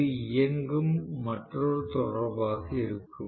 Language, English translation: Tamil, This will be the another running contactor